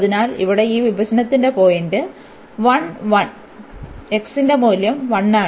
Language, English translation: Malayalam, So, this point of intersection here is 1 1 the value of x is 1